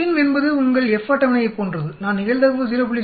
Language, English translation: Tamil, FINV is exactly like your F table, given the probability I put in say 0